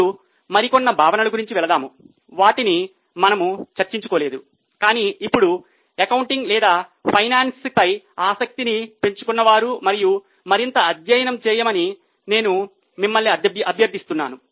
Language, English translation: Telugu, Now, going ahead, there can be a few concepts which we have not discussed, but those who have developed interest now in accounting or in finance, I would request you to study them further